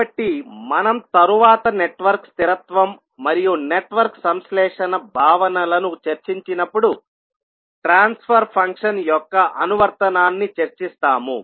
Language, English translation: Telugu, So, we will discuss the application of the transfer function when we will discuss the network stability and network synthesis concepts later in the course